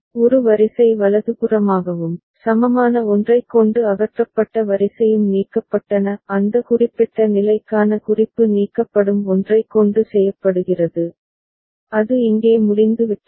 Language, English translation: Tamil, One row has been eliminated right and the one that has been eliminated with the equivalent one; reference to that particular state is made with the one that is eliminating, that is b over here